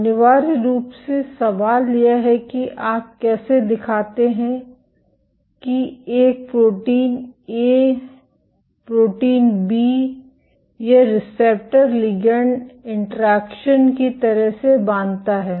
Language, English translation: Hindi, Essentially the question is how do you show that a protein A binds to protein B, or like a receptor ligand interaction